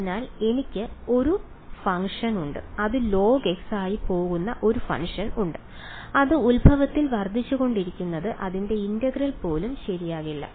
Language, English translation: Malayalam, So, I have a function a singularity which is going as log x what is blowing up at the origin even its integral does not go ok